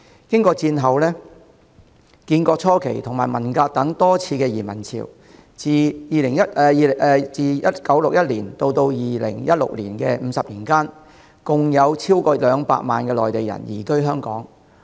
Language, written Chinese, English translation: Cantonese, 經過戰後、建國初期及文革等多次移民潮，自1961年至2016年的50年間，共有超過200萬名內地人移居香港。, After several massive migrations which took place during the post - war period the founding years of the Country and the Cultural Revolution more than 2 million Mainlanders came to live in Hong Kong in the 50 years from 1961 to 2016